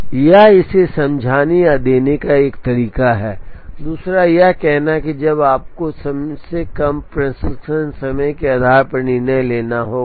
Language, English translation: Hindi, That is one way of explaining it or giving this, the other is to say when you have to make a decision choose based on the one that has the shortest processing time